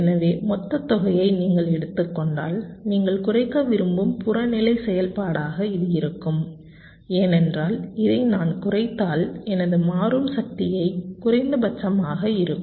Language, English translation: Tamil, so if you take the sum total, this will be the objective function that you want to minimize, because if i minimize this, my dynamic power will also be minimum